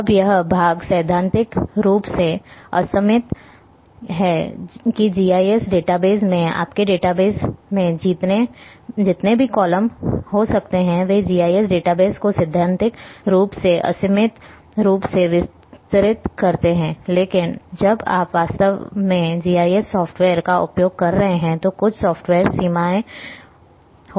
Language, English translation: Hindi, Now this part theoretically is unlimited that number of columns which you can have in your database in GIS database extended GIS database theoretically is unlimited, but a when you are really using a GIS software then there might be some software limitations are there